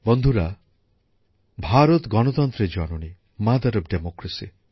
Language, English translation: Bengali, Friends, India is the mother of democracy